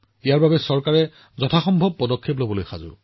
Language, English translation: Assamese, For this, the Government is taking all possible steps